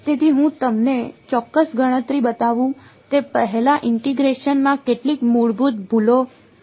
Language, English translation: Gujarati, So, before I show you the exact calculation there is some very basic mistakes that can happen in integration